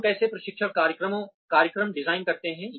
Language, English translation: Hindi, How do we design, training programs